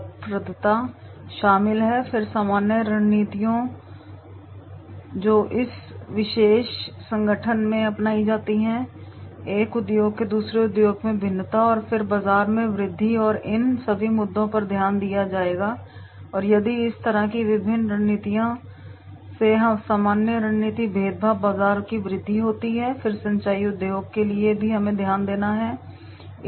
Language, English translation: Hindi, Tips are examples include industry consolidation, profitability of the industries then the general strategies which are adopted in to this particular organization, differentiation from the one industry to the another then the market growth and all these issues that will be taken into consideration and then if this type of this different strategies are there general strategy differentiation market growth then that specific to the irrigation industry we have to note down